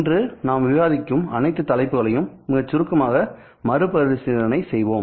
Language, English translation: Tamil, We will be revisiting all the topics that we discuss in a very brief manner